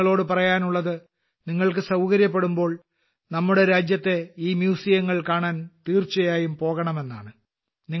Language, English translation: Malayalam, I urge you that whenever you get a chance, you must visit these museums in our country